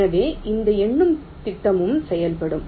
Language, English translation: Tamil, so this numbering scheme will also work